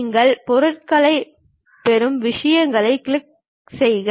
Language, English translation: Tamil, You click the things you get the things